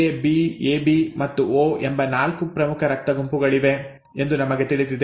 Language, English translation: Kannada, We know that there are 4 major blood groups, what, A, B, AB and O, right